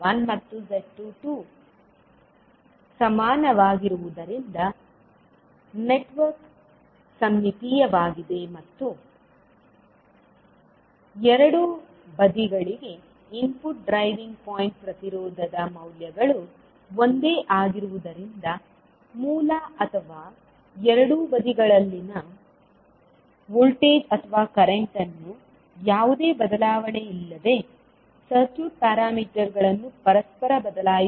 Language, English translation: Kannada, Since Z11 and Z22 are equal, so you will say that the network is symmetrical and because of the values that is input driving point impedance for both sides are same means the source or the voltage or current on both sides can be interchanged without any change in the circuit parameters